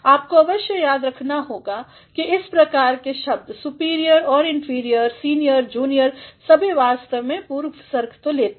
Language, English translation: Hindi, You must all remember that words like superior and inferior, senior, junior all these words actually take the preposition to